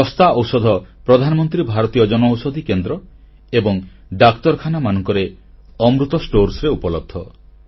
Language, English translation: Odia, Affordable medicines are now available at 'Amrit Stores' at Pradhan Mantri Bharatiya Jan Aushadhi Centres & at hospitals